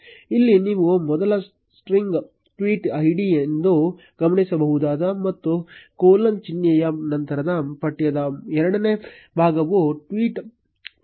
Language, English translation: Kannada, Here you will notice that first string is the tweet id, and second part of the text after the colon symbol is the tweet text